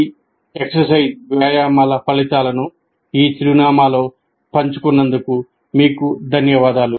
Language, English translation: Telugu, And we will thank you for sharing the results of these exercises at this address